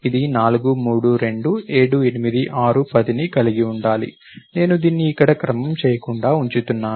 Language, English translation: Telugu, It should consist of 4, 3, 2, 7, 8, 6, 10, something like this I am keeping it unordered here